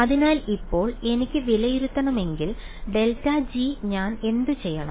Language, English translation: Malayalam, So, now, if I want to evaluate grad g what do I do